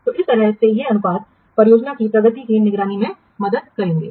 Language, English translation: Hindi, So in this way these ratios will help in monitoring the progress of the project